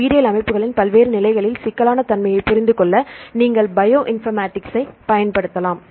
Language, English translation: Tamil, So, you can use the Bioinformatics to understand the complexity of the various levels of complexity in biological systems